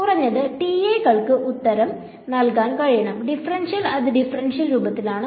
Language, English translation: Malayalam, At least the TAs should be able to answer, differential it is in the differential form